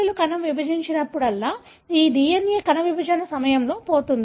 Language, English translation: Telugu, coli cell divides, this DNA will be lost during cell division